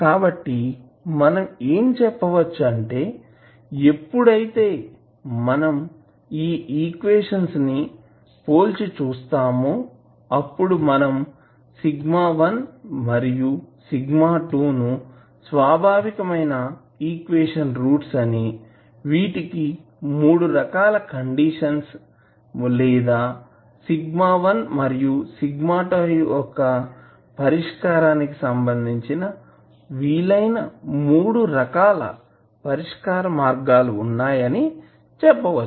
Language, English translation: Telugu, So what we can say that when you compare these equations then you can say that sigma1 and sigma2 which are the roots of the characteristic equations we have 3 conditions or we say that there are 3 possible types of solutions related to the roots of sigma 1 and sigma 2